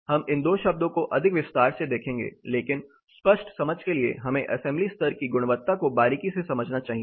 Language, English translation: Hindi, We will look at these two terms more in detail, but to have a clear understanding we should get much closer to the assembly level properties